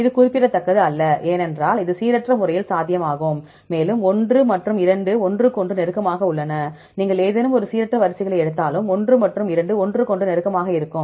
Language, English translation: Tamil, not significant Is not significant because it could be possible by random, and exactly one and two are close to each other, even if you take any random sequences one and two will be close to each other right